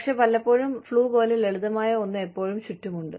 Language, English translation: Malayalam, But, a lot of times, something as simple as, the flu, is going around